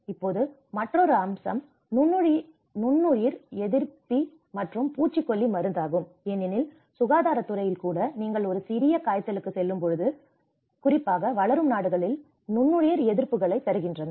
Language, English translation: Tamil, And now another aspect is antibiotisation and pesticidization because in the health sector even you go for a small fever, you get antibiotics especially in developing countries